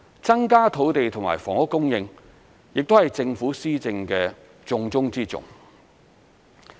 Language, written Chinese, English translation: Cantonese, 增加土地及房屋供應亦是政府施政的重中之重。, Increasing the supply of land and housing is also a top priority of the Government